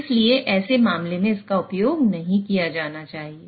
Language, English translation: Hindi, So, in such a case, it should not be used